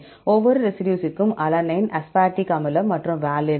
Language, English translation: Tamil, For each residue alanine, aspartic acid and valine